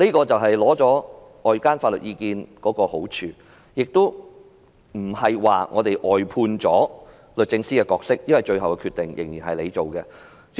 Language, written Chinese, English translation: Cantonese, 這便是尋求外間法律意見的好處，亦不是外判了律政司的角色便算了，因為最後決定仍然由律政司作出。, This is the benefit of seeking legal advice from outside . This is not tantamount to outsourcing the role of DoJ as it will make the final decision